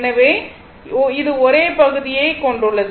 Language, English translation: Tamil, So, it has a same area right